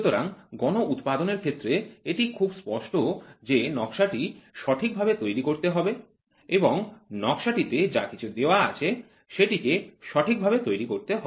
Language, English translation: Bengali, So, in mass production it is very clear the drawing has to be made proper and the drawing whatever is given in the drawing that has to be produced